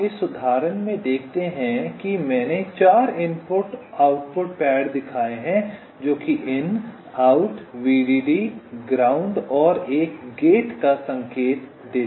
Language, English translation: Hindi, you see, in this example i have shown four input output pads indicating in, out, vdd and ground, and one gate right